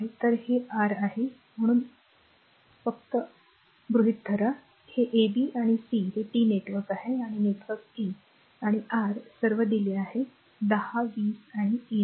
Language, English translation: Marathi, So, this is your a just hold down this is a b and c right this is T network the star network R 1, R 2 and your R 3 all are given 10, 20 and 30 ohm right